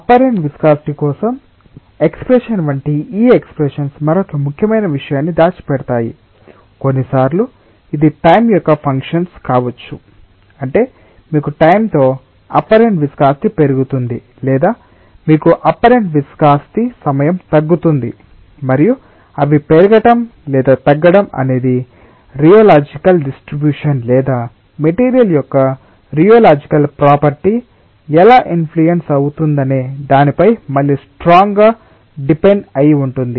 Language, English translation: Telugu, sometimes this may be functions of time, that is, you may have apparent viscosity increasing with time or you may have apparent viscosity decreasing with time, and whether they are going to increase or decrease with time, ah, that is going to be strongly dependent on, again, that how the rheological distribution or how the rheological property of the material is going to influence that